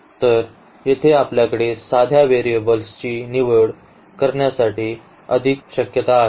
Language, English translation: Marathi, So, we have more possibilities to actually choose the choose the variables now here